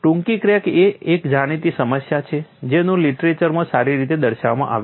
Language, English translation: Gujarati, Short cracks is a well known problem well documented in the literature